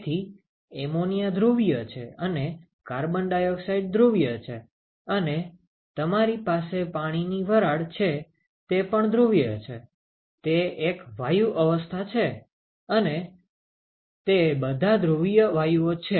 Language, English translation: Gujarati, So, ammonia is polar carbon dioxide is polar, and you have water vapor is polar, it is a gaseous state they are all polar gases